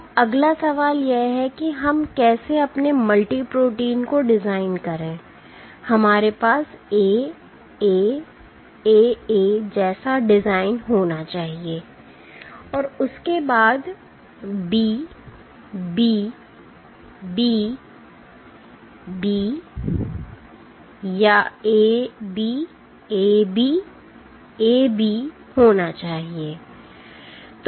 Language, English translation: Hindi, Now the next question comes is how do we make, design our multi protein should we have a design like A A A A is followed by B B B B or A B A B A B A B